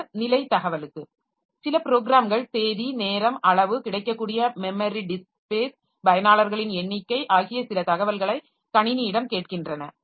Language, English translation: Tamil, Then for status information, so some programs ask the system for information, date, time, amount, available memory, disk space, number of users